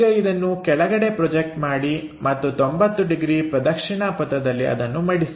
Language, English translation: Kannada, Now, project this one on to this bottom side and fold this by 90 degrees clockwise